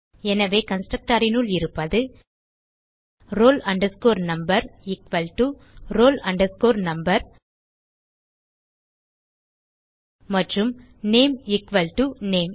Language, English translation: Tamil, So inside the constructor we have: roll number equal to roll number and name equal to name